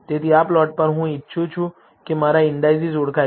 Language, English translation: Gujarati, So, on this plot I want my indices to be identified